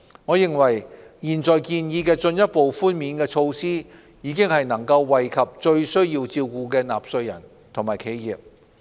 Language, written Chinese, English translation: Cantonese, 我認為現在建議的進一步寬免措施已能惠及最需要照顧的納稅人和企業。, In my view the currently proposed measures for further concessions can already benefit taxpayers and enterprises most in need of help